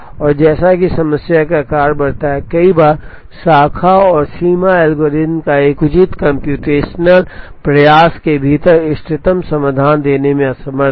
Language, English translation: Hindi, And as the problem size increases, there are times the Branch and Bounds algorithm is unable to give the optimum solutions within a reasonable computational effort